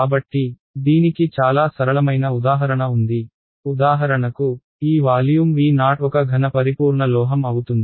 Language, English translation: Telugu, So, very simple example of this is if for example, this volume V naught is a solid perfect metal